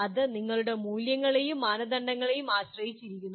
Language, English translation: Malayalam, That depends on what criteria you are using depends on your values and standards